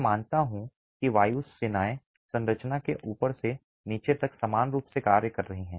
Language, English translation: Hindi, I assume that the wind forces are acting uniformly from the top to the bottom of the structure